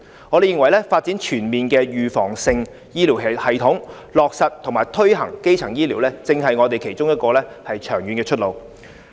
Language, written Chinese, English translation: Cantonese, 我們認為發展全面的預防性醫療系統，落實和推行基層醫療，正是我們其中一個長遠的出路。, We hold that one of the ways out in the long run is to develop an all - round preventive healthcare system and formulate and implement primary healthcare